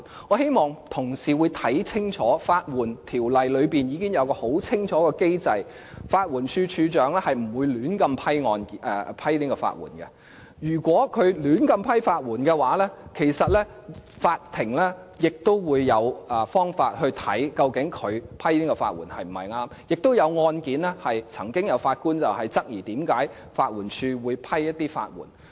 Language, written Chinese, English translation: Cantonese, 我希望同事看清楚，《法律援助條例》已經有很清楚的機制，法援署署長是不會胡亂批出法援的，如果他胡亂批出法援，其實法庭也會有方法審視他批出法援是否正確；之前曾經就一些案件，法官質疑法援署為何會批出法援。, I hope my colleagues can see clearly that a clear mechanism exists in the Legal Aid Ordinance and the Director of Legal Aid will not randomly approve grants of legal aid . In case he has granted legal aid imprudently the court has the means to examine whether the grant of legal aid from him is proper or not . There have been occasions on which the judges doubted why the LAD granted legal aid for some cases